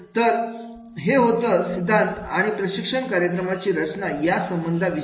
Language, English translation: Marathi, So this is about the relationship of the theories and designing a training program